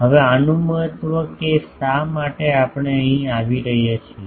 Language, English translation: Gujarati, Now, the importance of this is why we are coming here